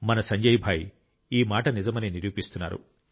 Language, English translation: Telugu, Our Sanjay Bhai is proving this saying to be right